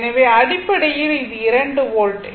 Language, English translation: Tamil, So, basically, it is is equal to 2 volt